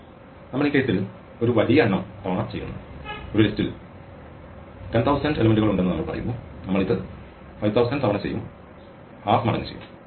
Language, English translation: Malayalam, Well we just do it a large number of times in this case say we have 10000 elements in a list, we will do this 5000 times we do it length of l by 2 times